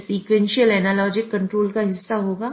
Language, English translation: Hindi, So, that will be the part of sequential and logic control